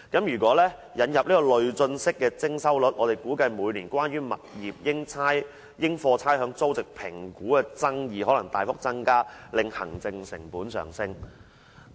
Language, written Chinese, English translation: Cantonese, 如引入累進式徵收率，他估計每年關於物業應課差餉租值評估的爭議可能大幅增加，令行政成本上升。, Had progressive rates percentage charge been introduced he expected that disputes over the assessment of rateable values of properties might significantly increase every year thereby raising the administrative costs